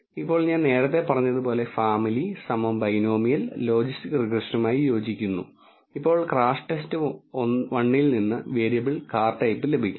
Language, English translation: Malayalam, Now, like I said earlier family equal to binomial corresponds to logistic regression and now the variable car type is to be obtained from crashTest underscore 1